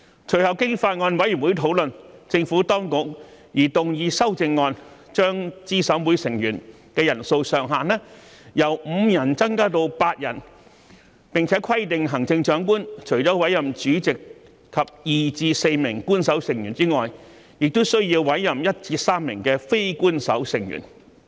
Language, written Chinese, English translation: Cantonese, 隨後經法案委員會討論，政府當局擬動議修正案，將資審會成員人數上限由5人增至8人，並規定行政長官除了委任主席及2名至4名官守成員外，亦須委任1名至3名非官守成員。, Upon subsequent discussion by the Bills Committee the Administration proposed to move amendments to increase the upper limit of members in CERC from five to eight and stipulate that the Chief Executive shall in addition to the chairperson and two to four official members appoint one to three non - official members